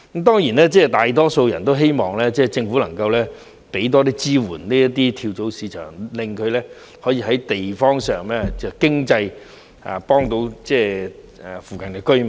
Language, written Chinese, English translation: Cantonese, 當然，大多數人都希望政府能夠為這些跳蚤市場提供更多支援，令它們可以在有關地方於經濟方面幫到附近的居民。, Undoubtedly most people hope that the Government can provide more support for these flea markets to enable them to help residents in the local neighbourhood economically